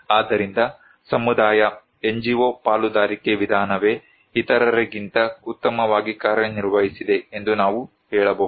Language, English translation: Kannada, So, we can say that it is the community NGO partnership approach that worked much better than others